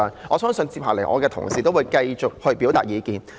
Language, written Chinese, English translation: Cantonese, 我相信接下來同事會繼續表達意見。, I believe Honourable colleagues will express their views further later on